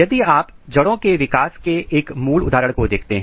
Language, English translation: Hindi, So, if you look a typical example of root development